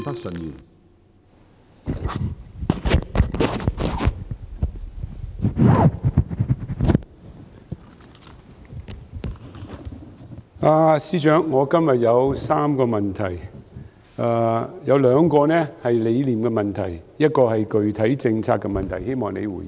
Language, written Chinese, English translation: Cantonese, 司長，我今天有3個問題，有兩個是理念問題，一個是具體政策問題，希望你回應。, Financial Secretary I have three questions today two of which are philosophical questions while the other question concerns specific policies . I hope that you can make a response